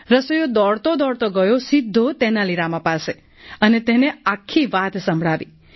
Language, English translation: Gujarati, The cook went running directly to Tenali Rama and told him the entire story